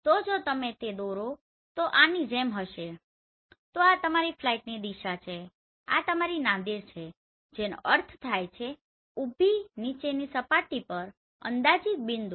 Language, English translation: Gujarati, So if you draw it will be like this so this is the direction of your flight this is your Nadir which means vertically down projected point on the surface right